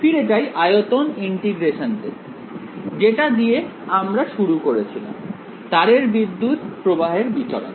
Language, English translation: Bengali, Go back to the volume integral, that we had started with, the current distribution on the wire